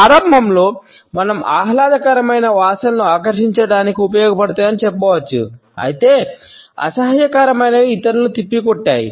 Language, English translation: Telugu, At the outset we can say that pleasant smells serve to attract whereas, unpleasant ones repel others